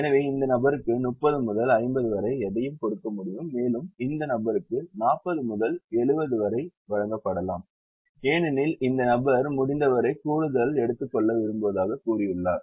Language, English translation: Tamil, and this person can be given anything between forty and seventy, because this person has said that he or she would like to take as much extra as possible